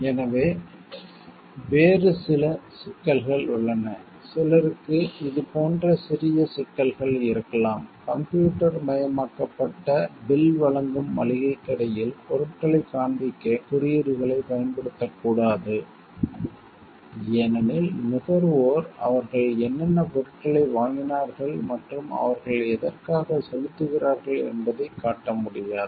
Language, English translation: Tamil, So, there are other issues also like if somebody this could be small issues like, if a grocery store is which issues a computerized bill should not use clue codes to display items as the consumers may not be able to map, what they have purchased and what they are paying for